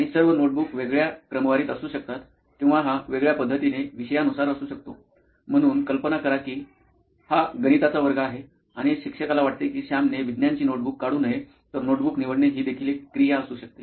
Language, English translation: Marathi, and all the notebooks might be in a different sequence or it might be a topic in a different manner, so imagine it is a maths class and the teacher does not want, the teacher will never want Sam to take out his science notebook, so selecting the And I think there will be different notebooks for each subject